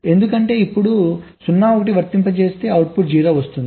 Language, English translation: Telugu, if i apply zero one, the output will be zero